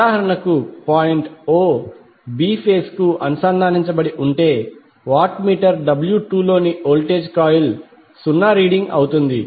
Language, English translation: Telugu, So for example, if point o is connected to the phase b that is point b, the voltage coil in the watt meter W 2 will read 0